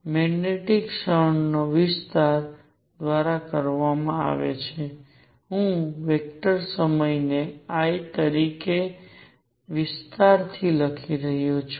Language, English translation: Gujarati, Magnetic moment is given by area, I am writing area as a vector times I